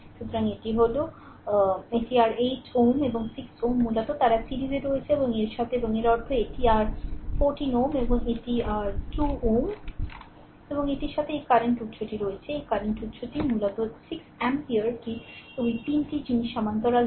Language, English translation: Bengali, So, this is this is your 8 ohm and 6 ohm basically they are in series and the and with that and that means, this is your 14 ohm right and this is your 2 ohm, and with that this current source is there, this current source is there 6 ampere basically this all this 3 things are in parallel right